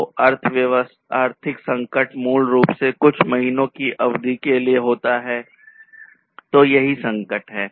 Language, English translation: Hindi, So, economic crisis basically takes place over a duration not more than a few months, so that is the crisis